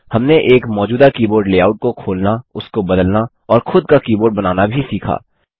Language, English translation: Hindi, We also learnt to open an existing keyboard layout, modify it, and create our own keyboard